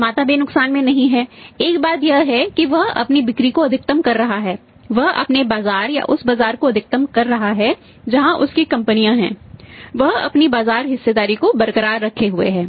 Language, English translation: Hindi, The manufacturer is also not at loss one thing is that his maximizing he sales, he is maximizing is market or the market where he is in companies in that is retaining its market share